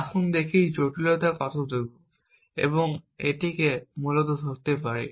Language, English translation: Bengali, Let us see to what degree of complexity, we can capture this essentially